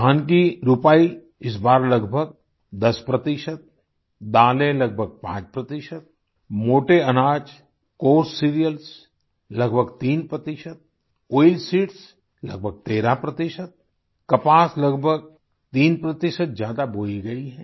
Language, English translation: Hindi, The sowing of paddy has increased by approximately 10 percent, pulses close to 5 percent, coarse cereals almost 3 percent, oilseeds around 13 percent and cotton nearly 3 percent